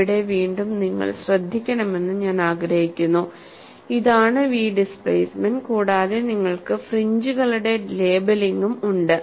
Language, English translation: Malayalam, And here again, I want you to note down, this is the v displacement, and you also have labeling of fringes